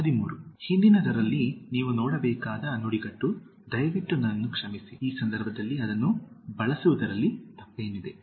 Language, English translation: Kannada, 13) In the previous one the phrase you need to look at is, Please excuse me itself, what is wrong in using that in this context